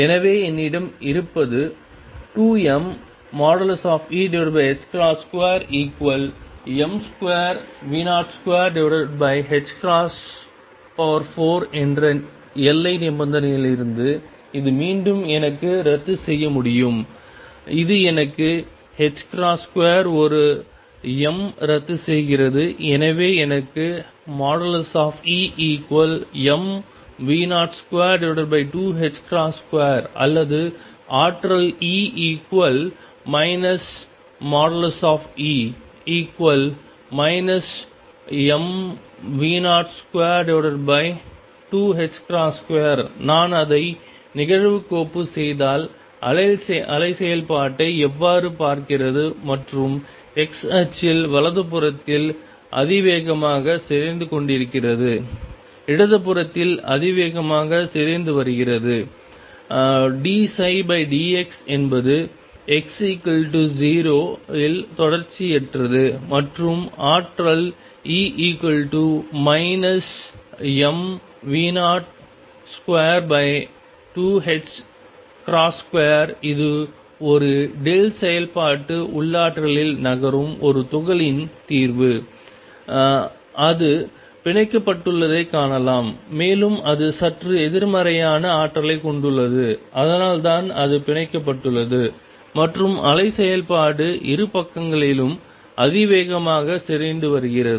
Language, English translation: Tamil, So, what I have is from the boundary condition 2 m mod A over h cross square is equal to m square V 0 square over h cross raise to 4, we can again cancels in terms this gives me h cross square 1 m cancels and therefore, I get mod of E equals m V 0 square over 2 h cross square or energy E which is equal to minus mod E is equal to minus m V 0 square 2 h cross square; how does the wave function look the wave function if I plot it and on the x axis is exponentially decaying on the right hand side exponentially decaying on the left hand side d psi by d x is discontinuous at x equal 0 and the energy e equals minus m V 0 square 2 h square that is the solution for a particle moving in a delta function potential you can see it is bound and it has energy just slightly negative that is why it is bound and the wave function is exponentially decaying on the 2 sides